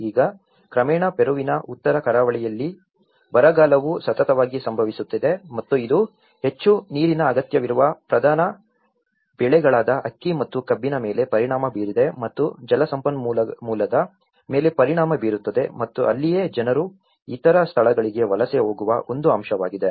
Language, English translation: Kannada, Now, one is gradually, the drought in North coast of Peru have been consistently occurring and that has caused the affecting the predominant crops like rice and sugar canes which needs more water and also there is, also impact on the water resources and that is where that is one aspect people tend to migrate to other places